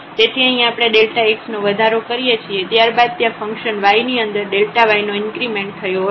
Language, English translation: Gujarati, So, here when we make an increment delta x then there was a increment delta y in the function y